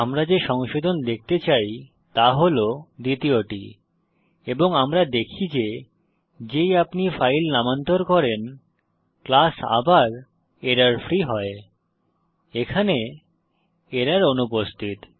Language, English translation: Bengali, And we see that once you rename the file the class back to errorfree the error here is missing